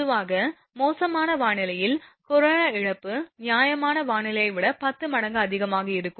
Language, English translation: Tamil, Generally, corona loss under foul weather condition will be as many as 10 times higher than the fair weather condition